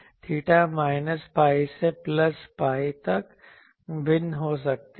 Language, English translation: Hindi, Now, what is the theta, theta can vary from minus pi to plus pi